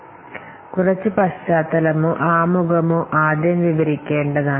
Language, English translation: Malayalam, So, that has to be a little bit of background or introduction should be described first